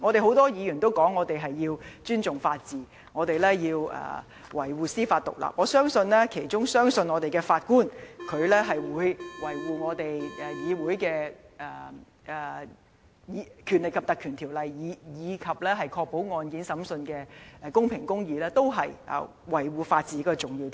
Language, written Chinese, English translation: Cantonese, 很多議員也表示要尊重法治及維護司法獨立，我相信有關的法官亦相信，維護議會的《條例》及確保案件審訊的公平和公義，都是維護法治的重要條件。, Many Members have vowed to respect the rule of law and uphold judicial independence and I trust that the Judge concerned also believes that upholding the Ordinance and ensuring the impartiality and justice of the trial are important prerequisites for upholding the rule of law